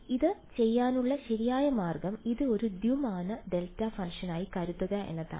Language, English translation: Malayalam, So, the correct way to do it would be just think of this as a two dimensional delta function right